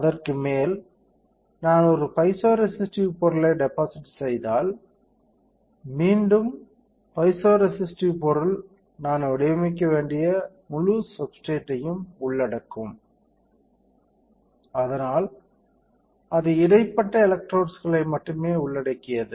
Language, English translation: Tamil, Then over that if I deposit a piezoresistive material, again piezoresistive material will cover entire substrate I have to pattern it, so that it is only it only covers the interdigitated electrodes and other areas we have to etch the piezoresistive material